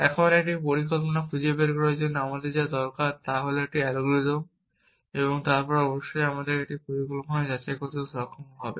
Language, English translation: Bengali, Now, all I need is an algorithm to find a plan and then of course, I also need to be able to validate a plan